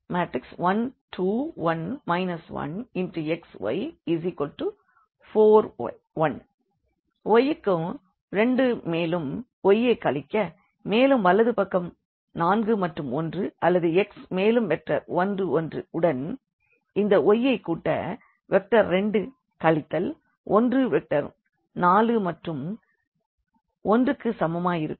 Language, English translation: Tamil, So, 2 to y and then the minus y here and then the right hand side is 4 and 1 or we can write down this as x and the vector 1 1 plus this y and this vector 2 minus 1 is equal to this vector 4 and 1